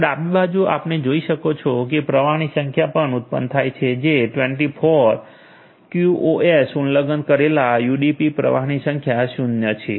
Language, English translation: Gujarati, So, in the left right hand side you can see the number of flows is also generated which is 24, number of QoS violated UDP flow which is 0 ok